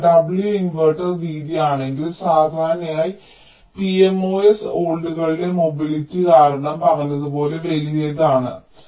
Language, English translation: Malayalam, so if the inverter width is w, typically pmos is larges, as said, because of the slower mobility of the holds